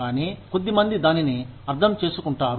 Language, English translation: Telugu, But, few understand it